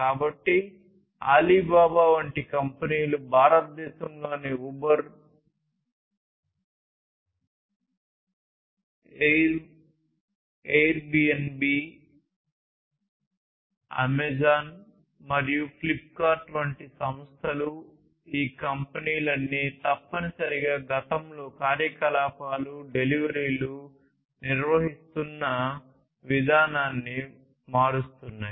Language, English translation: Telugu, Companies like Alibaba, companies like Uber, Airbnb, Amazon and Flipkart in India, so all of these companies are basically essentially transforming the way the operations, delivery, etc have been carried on in the past